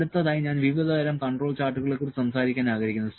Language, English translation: Malayalam, So, next I will like to talk about the types of control charts